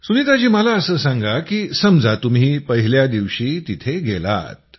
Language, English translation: Marathi, Sunita ji, I want to understand that right since you went there on the first day